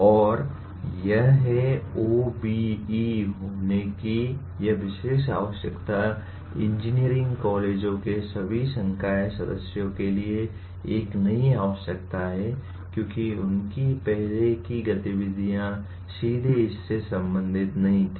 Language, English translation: Hindi, And this is, this particular requirement of having OBE is a new requirement for all faculty members of engineering colleges as their earlier activities were not directly related to this